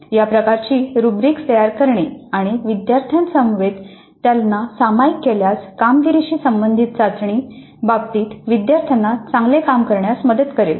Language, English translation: Marathi, So, this kind of a rubric preparation and sharing them upfront with the students would help the students do well in terms of the performance related test items